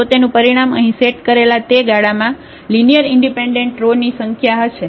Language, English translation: Gujarati, The dimension will be the number of linearly independent rows in that span in that set here